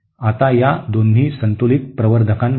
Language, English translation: Marathi, Now in both these balanced amplifiers